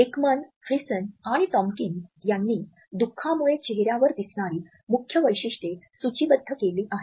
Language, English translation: Marathi, Ekman, Friesen and Tomkins have listed main facial features of sadness as being